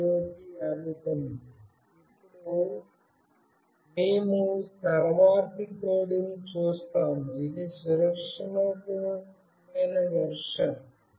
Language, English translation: Telugu, Now, we will see the next code, which is the secure version